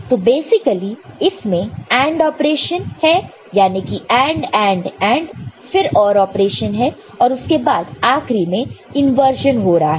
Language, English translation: Hindi, So, basically there is a AND operation involved this is AND AND AND then this is OR and then finally and inversion is taking place ok